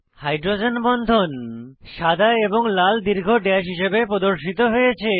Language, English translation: Bengali, The hydrogen bonds are displayed as white and red long dashes